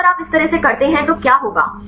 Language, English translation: Hindi, So, then if you do like this what will happen